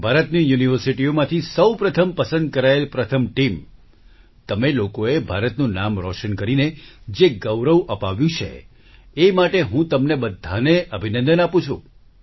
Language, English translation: Gujarati, First of all, I congratulate the team selected from the universities of India… you people have brought glory to the name of India